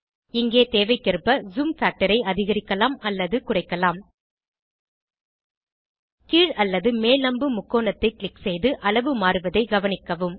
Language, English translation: Tamil, Here we can increase or decrease the Zoom factor as required Click on the up or down arrow triangle and observe the zooming